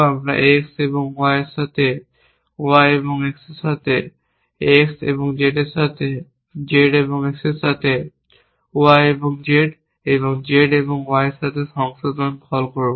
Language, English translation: Bengali, We will call revise with X and Y with Y and X with X and Z with Z and X with Y and Z and Z and Y